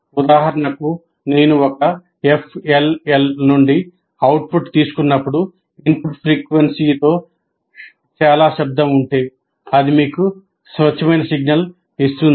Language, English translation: Telugu, For example, if there is a lot of noise associated with the input frequency, when I take the output from an FLL, it gives you a pure signal